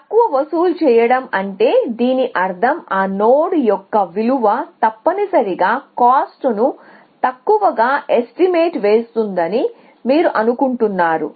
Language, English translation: Telugu, Charge less essentially which means that you think that they are that value of that node is underestimating the cost essentially